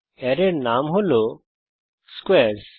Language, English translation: Bengali, The name of the array is squares